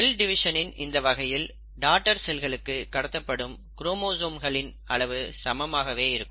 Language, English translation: Tamil, In this form of cell division, the number of chromosomes which are passed on to the daughter cells remain the same